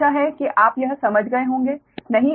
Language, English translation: Hindi, i hope you have understood this right